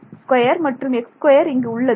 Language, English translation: Tamil, Right so I have y squared